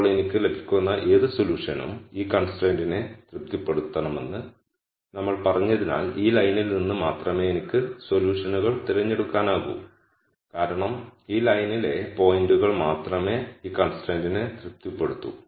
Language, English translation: Malayalam, Now since we said that whatever solution I get it should sat isfy this constraint would translate to saying, I can only pick solutions from this line because only points on this line will satisfy this constraint